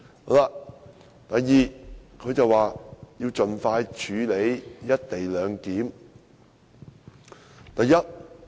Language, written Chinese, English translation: Cantonese, 第二，特首表示要盡快處理"一地兩檢"議案。, Second the Chief Executive expressed the need to deal with the motion on the co - location arrangement expeditiously